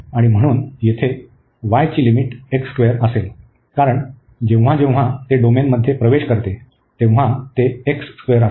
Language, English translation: Marathi, And so here the limit for y will be x square, because at this point when it enters the domain it is x square